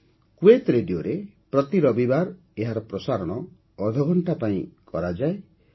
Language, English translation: Odia, It is broadcast every Sunday for half an hour on Kuwait Radio